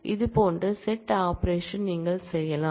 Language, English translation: Tamil, You can do set operations like this